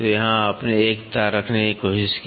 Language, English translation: Hindi, So, here you tried to keep one wire